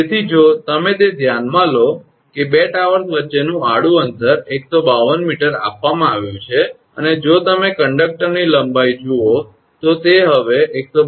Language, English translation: Gujarati, So, if you look into that that horizontal distance between two towers is given 152 meter and if you look the length of conductor it is now 152